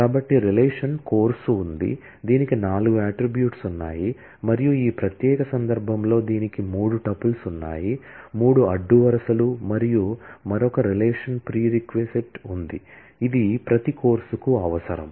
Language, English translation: Telugu, So, there is a relation course, which has four attributes and in this particular instance, it has three tuples; three rows and there is another relation prereq, which specifies the prerequisite for every course